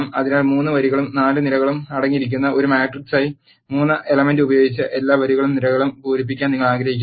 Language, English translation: Malayalam, So, you want to fill all the rows and columns with the element 3 which is a matrix which contains 3 rows and 4 columns